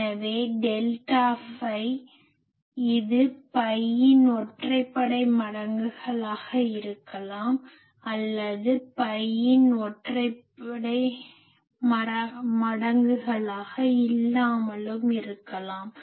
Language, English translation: Tamil, So, delta phi; it may be odd multiples of pi by 2 or not odd multiples of pi by 2